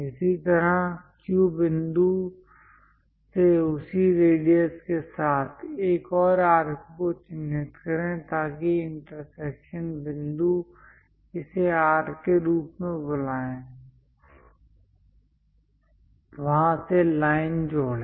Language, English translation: Hindi, Similarly, from Q point with the same radius; mark another arc so that the intersection point call it as R, from there join the line